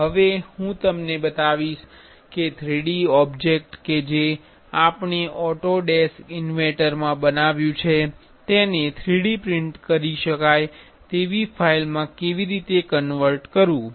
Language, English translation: Gujarati, Now, I will show you how to convert a 3D object which we made in Autodesk inventor to a 3D printable file